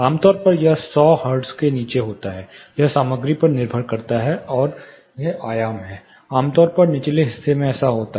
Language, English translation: Hindi, Typically it happens below 100 hertz, again it depends on the material and it is dimensions, typically in the lower side it happens